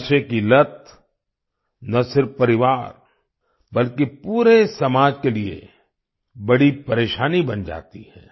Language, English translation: Hindi, Drug addiction becomes a big problem not only for the family, but for the whole society